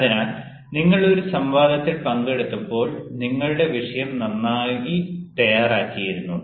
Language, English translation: Malayalam, so when you participated in a debate, you had ah prepared your topic very well